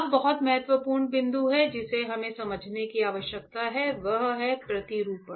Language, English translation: Hindi, Now, very important point that we need to understand is the patterning